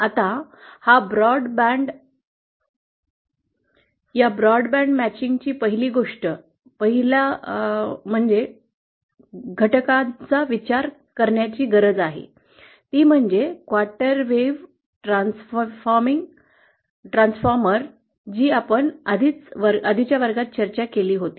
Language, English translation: Marathi, Now the first thing to understand this broadband matching; the first element that we need to consider is the quarter wave transforming, that we had discussed in the previous class